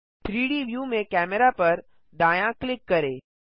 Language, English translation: Hindi, Right click Camera in the 3D view